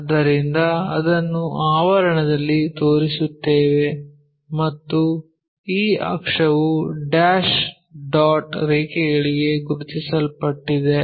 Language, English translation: Kannada, So, we show it in parenthesis and this axis one all the time map to dash dot lines